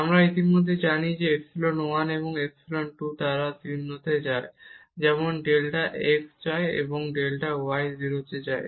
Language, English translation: Bengali, We already know that this epsilon 1 and epsilon 2 they go to 0 as delta x goes and delta y go to 0